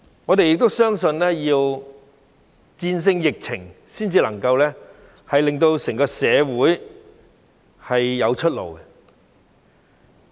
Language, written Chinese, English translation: Cantonese, 我們相信，要戰勝疫情才能夠令整個社會有出路。, We believe that the whole community can have its way out only after winning the pandemic fight